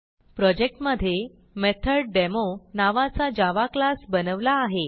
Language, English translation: Marathi, In the project, I have created a java class name MethodDemo